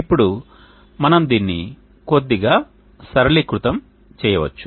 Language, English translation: Telugu, , now we can simplify this slightly Cos